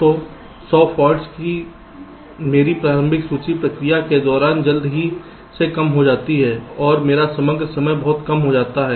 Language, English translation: Hindi, so my initial list of hundred faults quickly gets reduced during the process and my overall time becomes much less ok